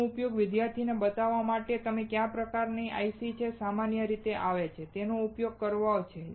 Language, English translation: Gujarati, The idea is to use it to show the students what are the kind of ICs that that you generally come across